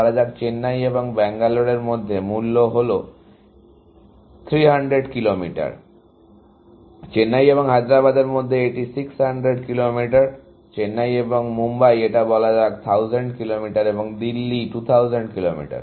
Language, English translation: Bengali, Let us say, between Chennai and Bangalore, the cost is 300 Kilometers; between Chennai and Hyderabad, it is 600 Kilometers; Chennai and Mumbai; it is, let us say, 1000 Kilometers, and Delhi is 2000 Kilometers